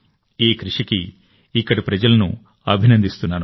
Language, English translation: Telugu, I congratulate the people there for this endeavour